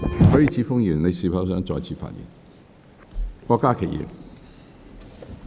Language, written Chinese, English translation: Cantonese, 許智峯議員，你是否想再次發言？, Mr HUI Chi - fung do you wish to speak again?